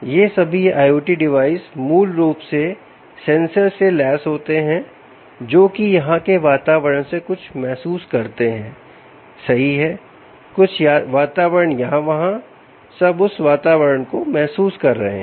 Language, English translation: Hindi, all these i o t devices, um, basically, are essentially a, basically equipped with sensors which sense something from the environments: here, right, some environment here, there, all sensing those environments